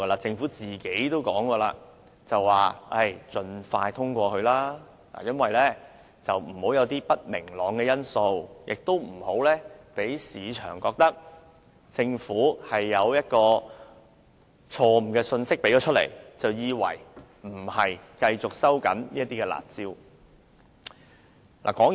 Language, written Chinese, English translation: Cantonese, 政府本身亦曾表示，要盡快通過《2017年印花稅條例草案》，以免製造不明朗的因素，令市場誤會政府釋出不會繼續收緊"辣招"的信息。, The Government indicated that the Stamp Duty Amendment Bill 2017 the Bill should be passed expeditiously to avoid creating uncertainties lest the market might misinterpret that the Government was giving the message of not enhancing the curb measure any more